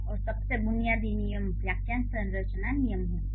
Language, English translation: Hindi, And the most basic rules would be the phrase structure rules, okay